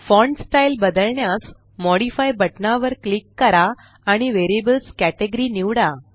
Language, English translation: Marathi, To modify the font style, click on the Modify button and choose the category Variables